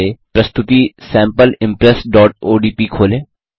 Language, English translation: Hindi, First, open the presentation Sample Impress.odp